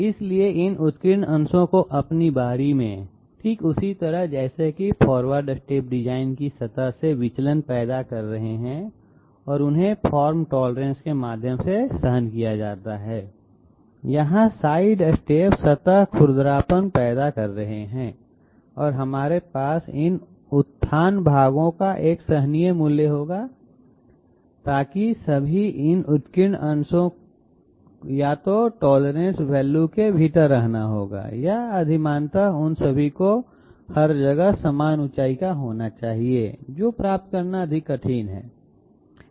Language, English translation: Hindi, So these upraised portions in their turn, just like the forward steps are creating deviation from the design surface and they are tolerated through formed tolerance, here the side steps are creating surface roughness and we will have a tolerable value of these upraised portions so that all these upraised portions will either have to remain within the tolerance value or preferably all of them should be of equal height everywhere, which is much more difficult to attain okay